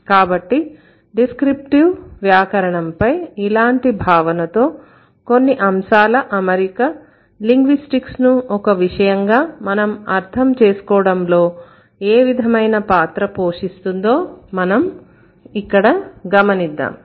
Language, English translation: Telugu, So, with this notion of descriptive grammar, we would check like we would see now how the arrangement of certain elements are going to play a vital role when you are trying to understand linguistics as a discipline